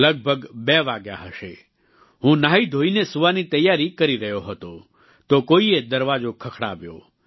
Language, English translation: Gujarati, It was around 2, when I, after having showered and freshened up was preparing to sleep, when I heard a knock on the door